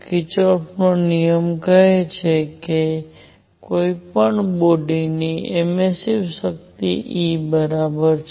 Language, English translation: Gujarati, So, Kirchhoff’s rule; law says that emissive power of any body divided by a is equal to E